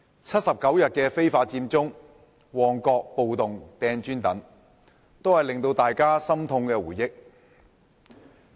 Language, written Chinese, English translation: Cantonese, 七十九日非法佔中、旺角暴動扔磚等，都是大家心痛的回憶。, Incidents such as the 79 - day Occupy Central and the riot in Mong Kok during which bricks were thrown are all heartaching memories for us